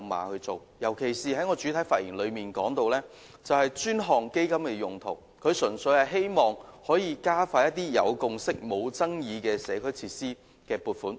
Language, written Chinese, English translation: Cantonese, 我在主體發言時提到專項基金的用途，純粹是希望加快一些有共識而無爭議的社區設施撥款。, I have proposed in my main speech the use of dedicated funds . All I hope is simply to expedite the funding process for some agreed - upon non - controversial community facilities